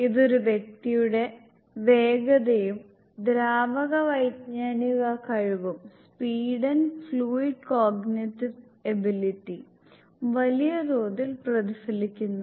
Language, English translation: Malayalam, It largely reflects speed and fluid cognitive ability of an individual